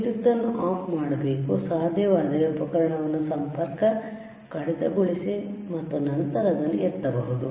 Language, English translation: Kannada, You have to switch off the power right, disconnect the equipment if possible and then you can lift it, all right